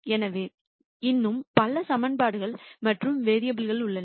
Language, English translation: Tamil, So, there are many more equations and variables